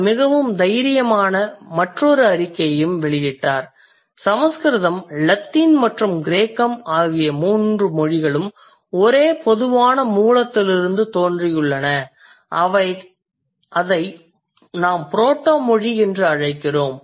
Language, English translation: Tamil, And his claim was that all the three languages, Sanskrit, Latin and Greek, they have sprung from the same common source which no longer exists